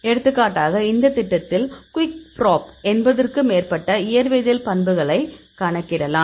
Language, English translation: Tamil, For example, in this program Qikprop; we calculate more than 80 physicochemical properties